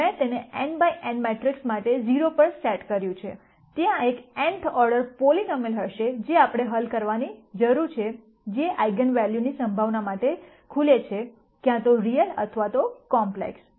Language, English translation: Gujarati, I set it to 0 for an n by n matrix, there will be an nth order polynomial that we need to solve which opens out to the possibility of the eigenvalues, being either real or complex